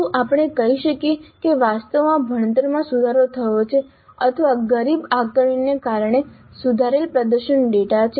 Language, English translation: Gujarati, Can we say that actually the learning has improved or is the improved performance data because of poorer assessments